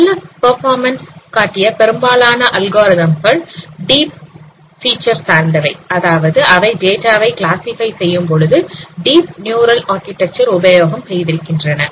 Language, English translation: Tamil, And major algorithms which have been found to provide good performances, they are deep features based which means they have used deep neural architecture while classifying this data